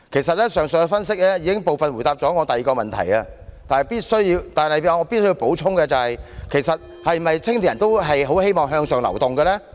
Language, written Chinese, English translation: Cantonese, 上述的分析已部分回答了我的第二個問題，但我必須補充，青年人是否都希望能向上流動？, The analysis above has partly answered my second question . But is it true that all young people wish to move upward? . This is a question that I must ask